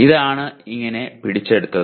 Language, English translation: Malayalam, This is what is captured like this